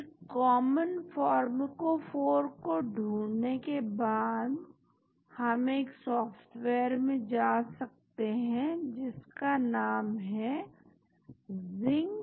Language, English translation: Hindi, Then, after finding the common pharmacophore, we can go to a software called ZINCPharmer